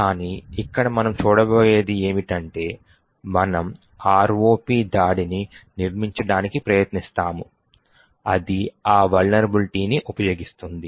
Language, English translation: Telugu, But what we will see over here is, we will try to build an ROP attack which uses that vulnerability